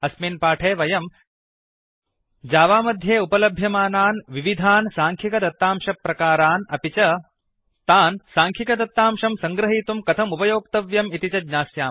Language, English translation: Sanskrit, In this tutorial, we will learn about: The various Numerical Datatypes available in Java and How to use them to store numerical data